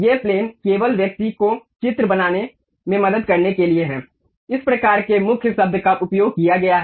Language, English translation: Hindi, This planes are just for the to help the person to construct the drawings, these kind of keywords have been used